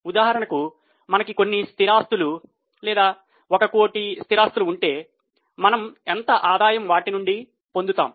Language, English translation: Telugu, For example, if we have fixed assets of let us say 1 crore, how much revenue we are able to generate from them